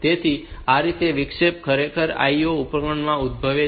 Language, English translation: Gujarati, So, this way these interrupts are actually originating from the IO device